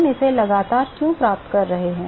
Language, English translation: Hindi, Why are we getting it constant